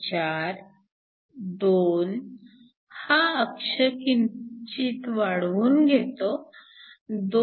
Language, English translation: Marathi, 4, 2 let me extend the axis a bit, 2